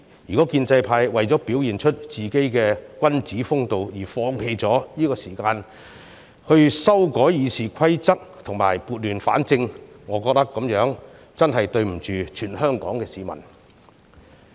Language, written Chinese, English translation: Cantonese, 如果建制派為了表現出自己的君子風度而放棄這個時間修改《議事規則》，撥亂反正，我認為這樣真的對不起全香港市民。, These amendments are simply the appropriate methods to deal with the current situation . If the pro - establishment camp is letting this opportunity go in order to show its gentlemanly behaviour and to fail to bring order out of chaos I think we are not living up to the expectations of the people of Hong Kong